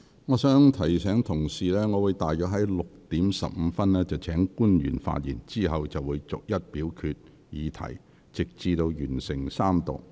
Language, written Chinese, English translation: Cantonese, 我提醒委員，我會於大約下午6時15分請官員發言，之後逐一表決有關議題，直至完成三讀。, I remind Members that I will call upon the public officers to speak at around 6col15 pm and then the committee will vote on the relevant motions one by one until completing the Third Reading